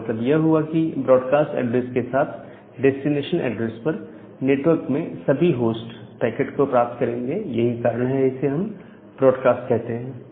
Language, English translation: Hindi, So, with this broadcast address at the destination address, that means, all the host in that network will get that packet, so that is why we call it as a broadcast address